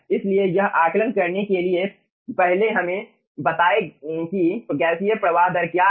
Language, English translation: Hindi, to assess that, first let us get what is the gaseous flow rate